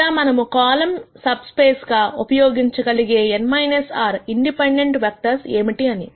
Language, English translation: Telugu, Or what could be the n minus r independent vectors that we can use as the columns subspace